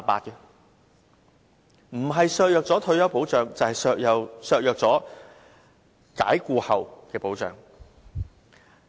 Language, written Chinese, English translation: Cantonese, 不僅削弱僱員的退休保障，也削弱他們被解僱後的保障。, Not only does this undermine the retirement protection for employees the protection they get upon dismissal is also reduced